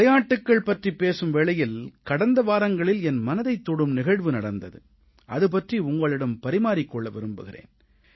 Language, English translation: Tamil, I speak about sports today, and just last week, a heartwarming incident took place, which I would like to share with my countrymen